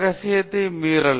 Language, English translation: Tamil, Breach of confidentiality